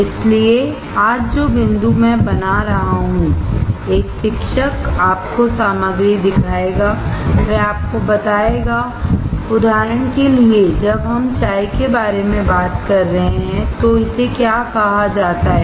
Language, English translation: Hindi, So, the point that I am making today is a teacher will show you the ingredients, he will tell you, like for example, when we are talking about tea, what is this called